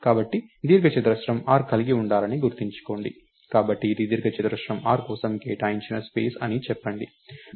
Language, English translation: Telugu, So, remember rectangle r is supposed to have, so lets say this is the space allocate for rectangle r